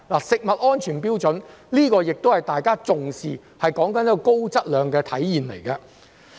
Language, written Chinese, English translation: Cantonese, 食物安全標準是大家重視的，說的是高質量的體現。, We attach great importance to food safety standards which is considered a manifestation of high quality